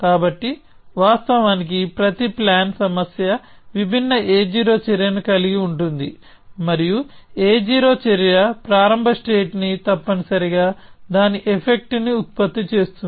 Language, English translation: Telugu, So, of course, every planning problem will have a different a 0 action and a 0 action simply produces the start state essentially its effect